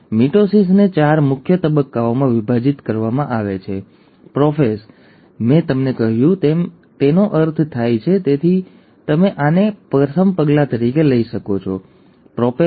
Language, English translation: Gujarati, The mitosis is divided into four major phases; prophase, pro as I told you means before, so you can take this as the first step, the prophase